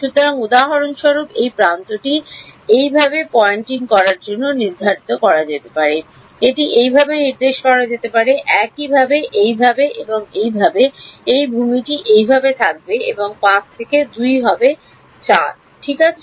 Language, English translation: Bengali, So, this edge for example, can be assigned to be pointing in this way, this can be assigned to be pointing in this way, similarly in this way and in this can be this land up being this way and 5 will be from 2 to 4 ok